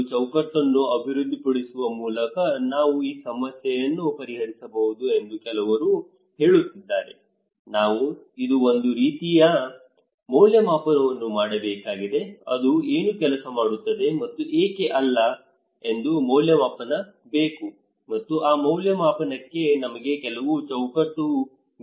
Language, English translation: Kannada, Some people are saying that we can solve this problem by developing a framework we need to kind of evaluation, evaluation that what works and why not so for that we need evaluation, and for that evaluation we need some framework